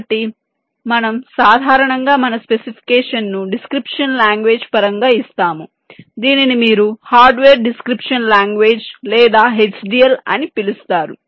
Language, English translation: Telugu, so we typically give our specification in terms of a description language, which you call as hardware description language or h d l